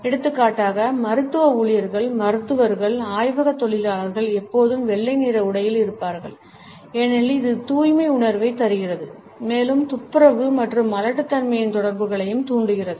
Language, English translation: Tamil, For example, the medical staff, doctors, lab workers are always dressed in white because it imparts a sense of purity and also evokes associations of sanitation and sterility